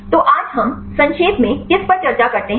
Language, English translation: Hindi, So, what do we discuss today in summarizing